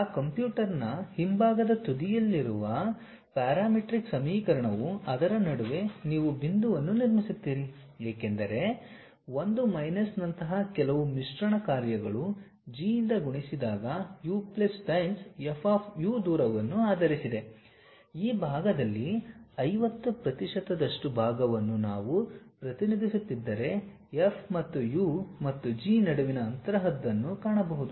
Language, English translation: Kannada, Then the parametric equation at back end of that computer what it does is you construct any point in between that as some blending functions like 1 minus nu multiplied by G of u plus nu times F of u is based on how much distance you would to really look at something like the distance between F of u and G of u if we are representing a fraction in terms of nu 50 percent on this side remaining 50 percent on that side or 40 percent on this side 60 percent on that side